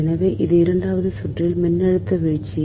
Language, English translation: Tamil, so this is the voltage drop in the second circuit